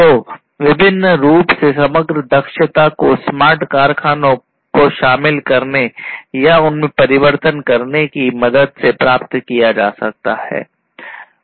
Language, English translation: Hindi, So, overall efficiency in all different terms can be achieved with the help of incorporation of or transitioning to smart factories